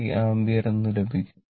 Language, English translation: Malayalam, So, 5 ampere